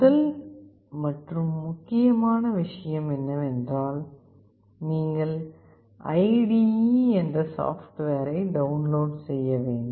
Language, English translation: Tamil, The first and foremost thing is that you need to download the software, the IDE